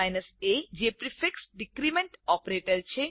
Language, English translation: Gujarati, a is a prefix decrement operator